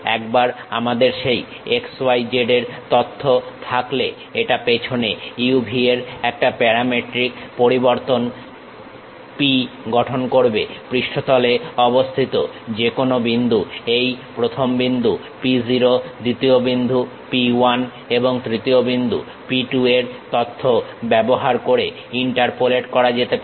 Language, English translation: Bengali, Once we have that x, y, z information; it will construct at the background a parametric variation P of u, v; any point on that surface can be interpolated using information of first point P 0, second point P 1 and third point P 2